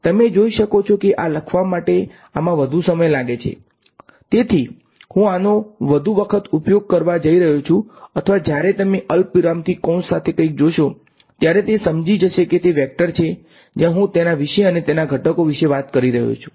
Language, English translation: Gujarati, You can see that this takes more time to write then this; so, I am going to use this more often or not it is understood when you see something with in brackets with commas it is a vector where I am talking about and its components